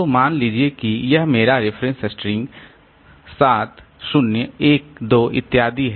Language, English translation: Hindi, So, suppose this is my reference string, 7012, etc